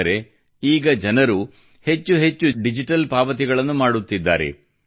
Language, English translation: Kannada, That means, people are making more and more digital payments now